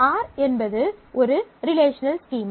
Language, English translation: Tamil, So, let us look at a relational schema